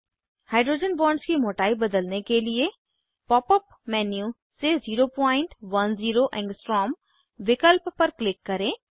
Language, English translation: Hindi, To change the thickness of hydrogen bonds, Click on 0.10 A option from the pop up menu